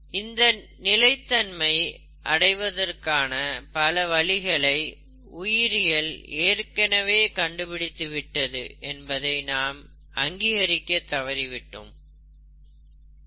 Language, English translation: Tamil, What we normally fail to recognize, is that biology has already found sustainable methods